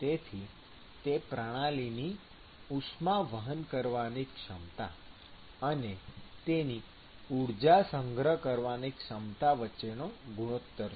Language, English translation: Gujarati, So, this is the ratio between the ability of the system to conduct it versus it is ability to store the energy, right